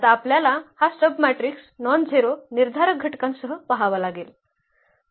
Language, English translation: Marathi, So, we have to see now this submatrix with nonzero determinant